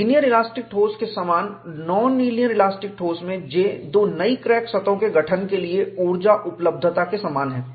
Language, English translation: Hindi, Like in linear elastic solids, in non linear elastic solid, the J is same as the energy availability for the formation of two new crack surfaces